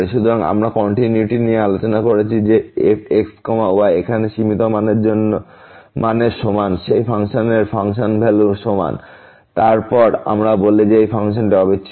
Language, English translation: Bengali, So, we have discuss the continuity; that is equal to the limiting value here is equal to the function value of the of that function, then we call that the function is continuous